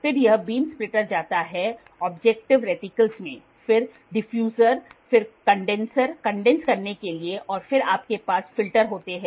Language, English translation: Hindi, Then this beam splitter goes to an objective reticles then diffuser, condenser to condense this and then you have filters